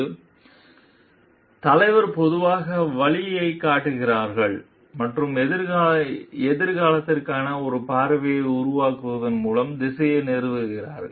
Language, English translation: Tamil, So, leaders generally show the way, so establish direction by creating a vision for the future